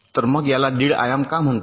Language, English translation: Marathi, so why it is called one and a half dimension